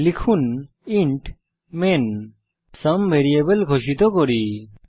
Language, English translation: Bengali, Type int main() Let us declare a variable sum here